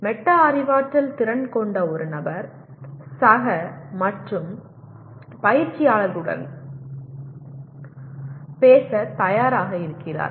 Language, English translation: Tamil, And a person with metacognitive skills he is willing to talk to the both peers and coaches